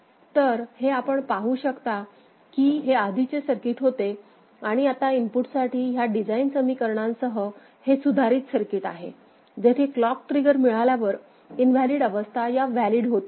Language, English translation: Marathi, So, that is what you can see that this is the this was the earlier circuit and now with those design equations for inputs, this is the modified circuit, where the invalid states going to valid 0 0 0 at next clock trigger